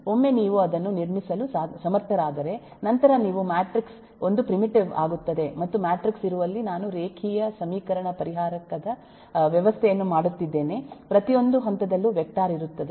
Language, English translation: Kannada, once you have been able to build that up, then you say matrix becomes a primitive and I’m making a system of eh, linear equation, solver, where matrix is there, vector is there at every stage